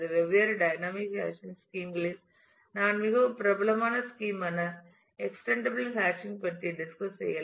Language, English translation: Tamil, Of the different dynamic hashing schemes I will discuss the extendable hashing which is a very popular scheme